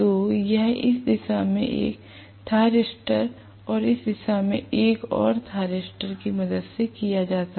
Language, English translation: Hindi, So, this is done with the help of let us say one thyristor in this direction and another thyristor in this direction